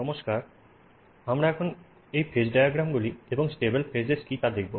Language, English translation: Bengali, Hello, we will now look at phase diagrams and what are stable faces